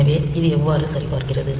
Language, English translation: Tamil, So, how does it check